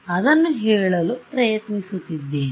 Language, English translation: Kannada, So, that is what I am trying to say